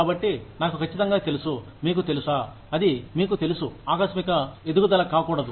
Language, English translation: Telugu, So, I am sure, you get the idea that, you know, it should not be a sudden jump